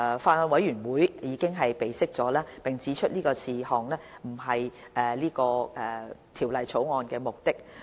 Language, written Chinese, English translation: Cantonese, 法案委員會已備悉並指出這事項不是是次《條例草案》的目的。, The Bills Committee has noted and pointed out this is not the objective of this Bill